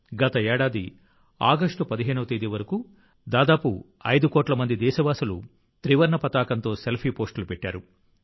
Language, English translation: Telugu, Last year till August 15, about 5 crore countrymen had posted Selfiewith the tricolor